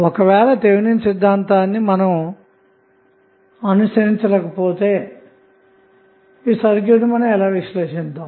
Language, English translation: Telugu, Suppose you are not following the Thevenin theorem and you want to analyze the circuit what you will do